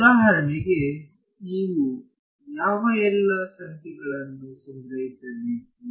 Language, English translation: Kannada, So, for example, what all numbers will you have to store